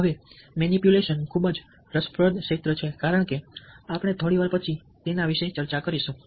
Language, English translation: Gujarati, now, manipulation is very interesting area, as we will discuss little later